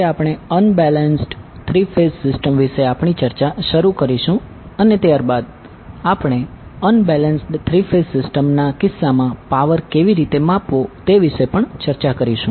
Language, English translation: Gujarati, Today we will start our discussion with the understanding about the unbalanced three phase system and then we will also discuss how to measure the power in case of unbalanced three phase system